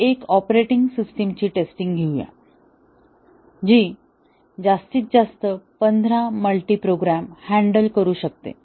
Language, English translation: Marathi, Let us say we are testing an operating system, which can handle maximum of fifteen multiprogrammed jobs